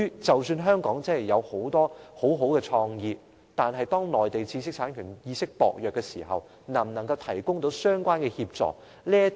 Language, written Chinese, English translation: Cantonese, 即使香港極有創意，但若內地的知識產權意識仍舊薄弱，那麼內地能否真的提供相關協助？, Even if Hong Kong is highly creative I wonder if the Mainland can really provide relevant assistance if its awareness of intellectual property rights protection remains poor